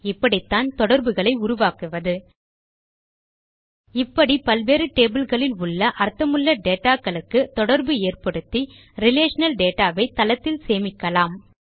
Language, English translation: Tamil, And, this is how we establish relationships And therefore interlink meaningful data stored in various tables in the relational database